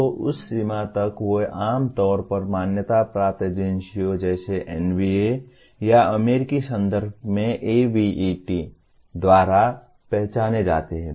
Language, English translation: Hindi, So to that extent they are normally identified by accrediting agencies like NBA or in the US context by ABET